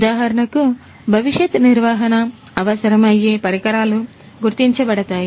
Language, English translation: Telugu, For example, the devices that need future maintenance would be identified